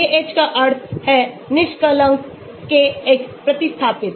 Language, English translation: Hindi, KH means unsubstituted Kx substituted